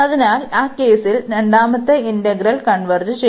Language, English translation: Malayalam, So, in that case with the second integral converges